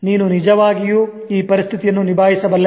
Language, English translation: Kannada, Can you really handle this situation